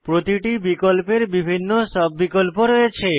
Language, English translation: Bengali, Each of these have various sub options as well